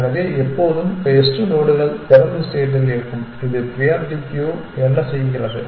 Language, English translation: Tamil, So, always the best nodes will be at the head of open which is what a priority queue does